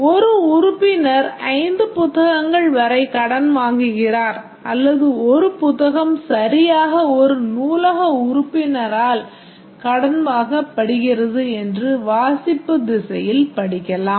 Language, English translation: Tamil, A member borrows up to 5 books or we can read in this direction that a book is borrowed by exactly one library member